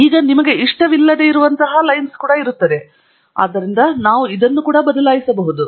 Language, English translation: Kannada, Now, there is also a line that comes here which you may not like, so we could change that also as follows